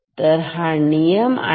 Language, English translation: Marathi, So, that is the rule